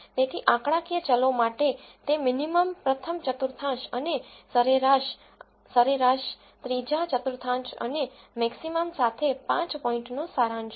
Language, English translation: Gujarati, So, for the numerical variables it is a five point summary with minimum first quartile and median, mean, third quartile and maximum